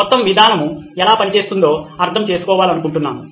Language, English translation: Telugu, We just want to have understanding of how the whole thing works